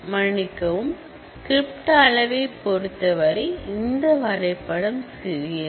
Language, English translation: Tamil, I am sorry this diagram is little small, in terms of the script size